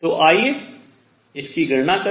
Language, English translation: Hindi, So, let us evaluate this